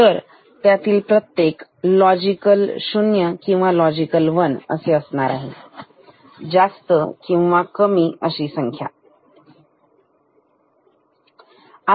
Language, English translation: Marathi, So, each of this can take the value of logical 0 or logical 1, high or low